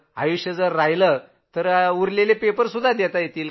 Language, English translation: Marathi, If life stays on, all papers will be managed